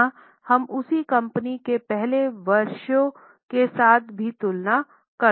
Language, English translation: Hindi, Okay, here also we can compare with earlier years of the same company as well